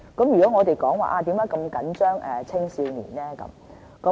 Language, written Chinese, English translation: Cantonese, 為何我們那麼緊張青少年呢？, Why are we particularly concerned about adolescents?